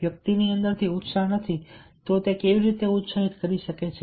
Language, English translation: Gujarati, if a person is not feeling motivated from within, how he can motivate others